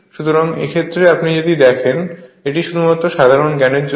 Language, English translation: Bengali, So, in this case if you look into this that just for your general knowledge